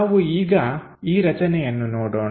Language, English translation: Kannada, Let us look at this object